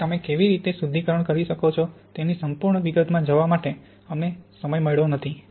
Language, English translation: Gujarati, So we have not got time to really go into the full detail of how you can do refinement